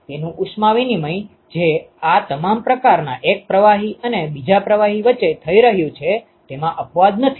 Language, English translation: Gujarati, Its heat exchange which is happening between one fluid and another fluid in all these types there is no exception to that